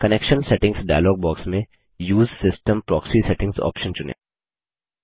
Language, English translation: Hindi, In the Connection Settings dialog box, select the Use system proxy settings option